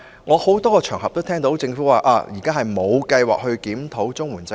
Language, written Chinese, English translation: Cantonese, 我在很多場合中也聽到，政府指現時並無計劃檢討綜援制度。, I have also heard on many occasions about the Government currently holding no plans to review the CSSA system